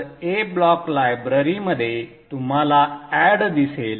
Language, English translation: Marathi, So in the A block library you see add